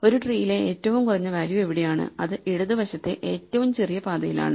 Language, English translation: Malayalam, So, where is the minimum value in a tree it is along the smaller left most path